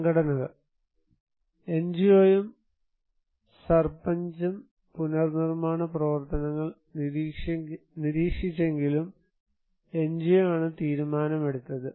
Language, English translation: Malayalam, And organizations; NGO and Sarpanch monitored the reconstruction work but majority of the decision was taken by NGO